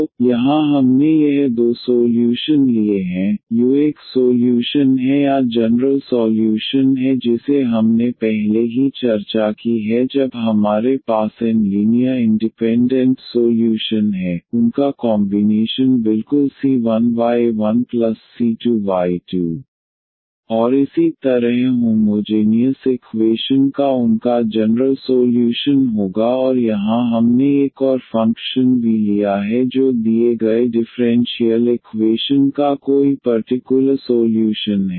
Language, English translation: Hindi, So, here we have taken this two solutions the u is a solution or is the general solution which we have already discussed before when we have n linearly independent solution; their combination exactly c 1 y 1 plus c 2 y 2 and so on that will be their general solution of the homogeneous equation and here we have taken another function v be any particular solution of the given differential equation